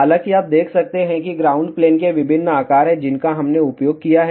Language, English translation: Hindi, However, you can see there are different shapes of ground plane, which we have used